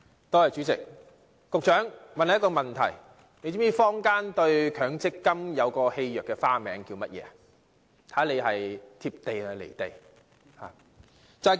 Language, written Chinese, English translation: Cantonese, 代理主席，我想問局長，他是否知道坊間對強制性公積金的戲謔別名是甚麼？, Deputy President may I ask the Secretary if he knows the nickname given to the Mandatory Provident Fund MPF by the community as a mockery of it?